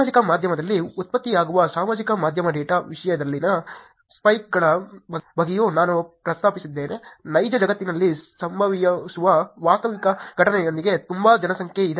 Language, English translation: Kannada, I also mentioned about the spikes in the social media data content that is generated on social media is very, very populated with the actually event that happens in the real world